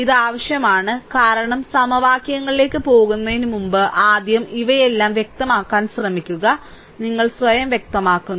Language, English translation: Malayalam, This is required because before going to the equations first try to let us make all these things clear your, what you call clarification here itself right, so I am clear